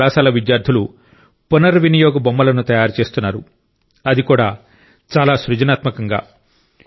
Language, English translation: Telugu, Students of this college are making Reusable Toys, that too in a very creative manner